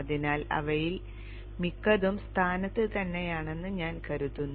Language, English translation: Malayalam, So I think we have most of them in place